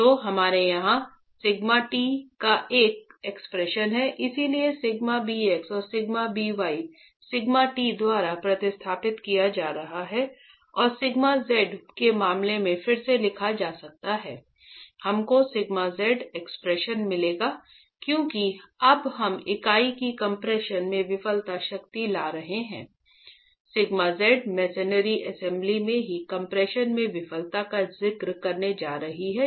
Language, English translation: Hindi, So, sigma bx and sigma b y are being substituted by sigma t in the failure criterion and rewriting in terms of sigma z we get an expression for sigma z since we are now bringing in the failure strength in compression of the unit the sigma z is going to be referring to the failure in compression of the masonry assembly itself